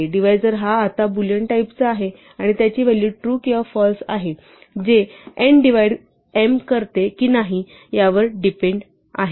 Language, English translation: Marathi, So, divisor is now of type bool right and it has a value true or false depending or not whether or not n divides m evenly